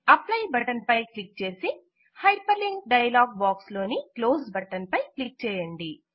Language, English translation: Telugu, Click on the Apply button and then click on the Close button in the Hyperlink dialog box